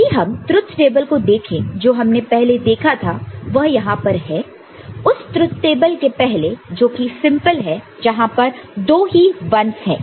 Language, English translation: Hindi, And, if we a look at the truth table that we had seen before that is over here before that the another truth table which is the simpler only two 1’s are there